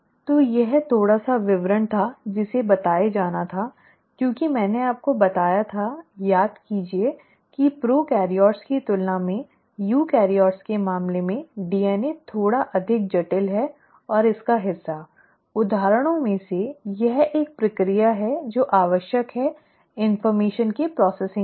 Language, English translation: Hindi, So this was a little bit of a detailing which had to be told because I told you, remember, that the DNA is a little more complex in case of eukaryotes than prokaryotes and part of it, one of the examples is this process which is necessary for the processing of the information